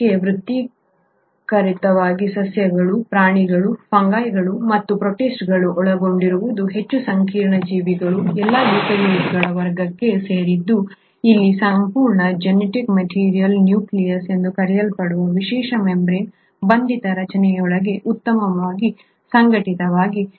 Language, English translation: Kannada, In contrast the more complex organism which involves the plants, the animals, the fungi and the protists, all belong to the class of eukaryotes where the entire genetic material is very well organised within a special membrane bound structure called as the nucleus